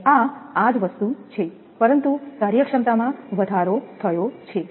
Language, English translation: Gujarati, And this is this thing, but efficiency has increase